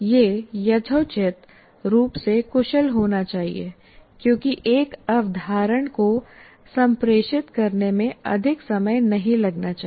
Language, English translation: Hindi, And it should be reasonably efficient because it should not take a lot of time to communicate one concept